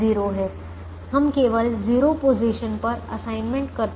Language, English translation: Hindi, we make assignments only in zero positions